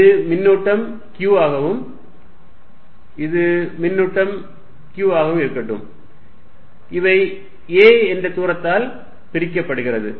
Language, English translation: Tamil, Let this be charge Q, let this be charge Q, separated by a distance a